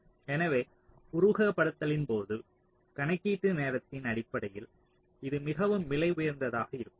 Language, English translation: Tamil, so this will be much more costly in terms of the computation time during simulation